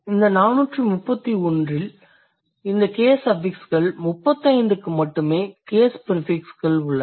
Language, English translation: Tamil, And these case affixes, and these case affixes, out of these 431 only 35 have case prefixes